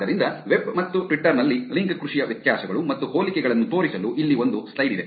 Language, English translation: Kannada, So, here is a slide to show the differences and similarities of link farming in web and Twitter